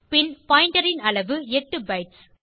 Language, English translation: Tamil, Then the size of pointer is 8 bytes